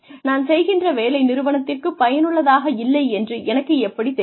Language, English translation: Tamil, How will I know that, the work that I am doing, is not useful for the organization